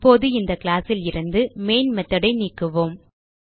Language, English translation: Tamil, Now, let me remove the main method from this class